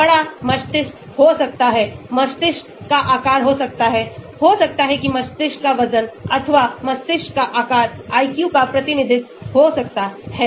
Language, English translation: Hindi, may be big brain; may be size of the brain may be may be , maybe the weight of the brain or size of the brain may be a representation of the IQ